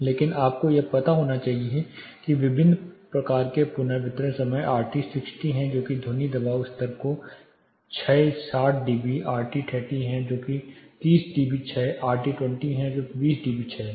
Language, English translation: Hindi, But you should know that there are different types of reverberation time RT 60 that is decay of sound pressure level by 60 db RT30 which is 30 db decay RT20 which is 20 db decay